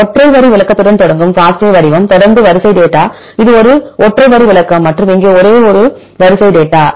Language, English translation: Tamil, The FASTA format which begins with the single line description right followed by the sequence data, this is a single line description right and here this is a sequence data